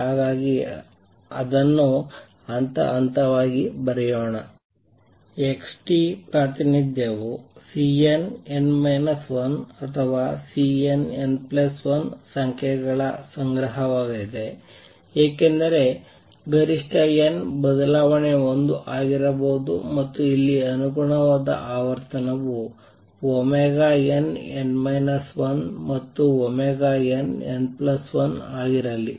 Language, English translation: Kannada, So, let us write it step by step number one xt representation is going to be a collection of numbers of C n, n minus 1 or C n, n plus 1 because maximum n change could be 1 and the corresponding frequency here let it be omega n, n minus 1 and omega n, n plus 1